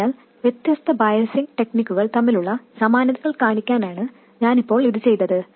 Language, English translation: Malayalam, So now I did this also to show you the similarities between different biasing techniques